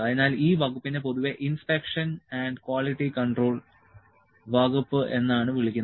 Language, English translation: Malayalam, So, the department is generally known as inspection and quality control department